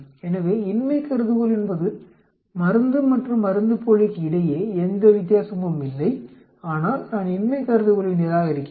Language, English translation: Tamil, So, the null hypothesis is there is no difference between the drug and the placebo, but I am rejecting the null hypothesis